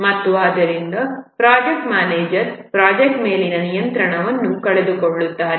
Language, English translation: Kannada, The main problem with this is that the project manager loses control of the project